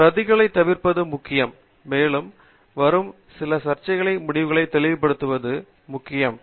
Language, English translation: Tamil, So, it is important to avoid duplication; and, it is also important to clarify certain controversial results that may be coming up